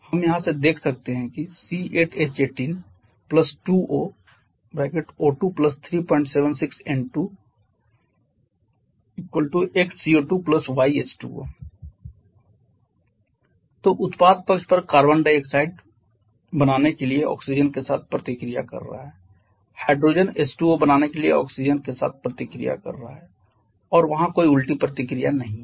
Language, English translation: Hindi, So, on the product side we have complete description on the reactant side so on the product side what we are having we have x CO 2 + y H2O so carbon is getting to form carbon is reacting with oxygen to form carbon dioxide hydrogen reacting with oxygen to form H2O there is no reverse reaction